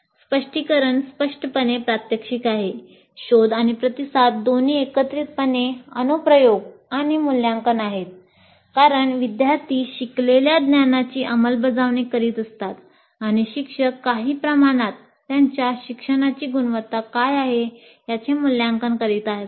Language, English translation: Marathi, Probe and respond is both application and assessment together because the students are applying the knowledge learned and the teacher is to some extent assessing what is the quality of the learning